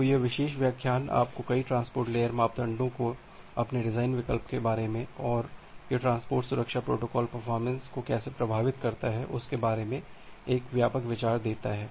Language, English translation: Hindi, So, this gives you this particular lecture give you a broad idea about your design choice of multiple transport layer parameters and how it impacts the transport layer protocol performance